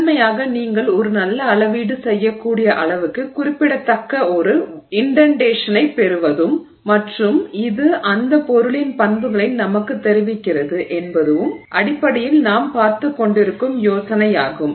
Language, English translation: Tamil, Primarily the idea is to get an indentation that is significant enough that you can make a good measurement and it also conveys to us the property of that material